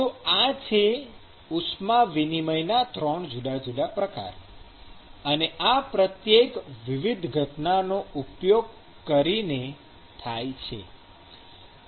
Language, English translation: Gujarati, These are 3 different classes of heat transport modes; and each of these actually occur using different phenomenon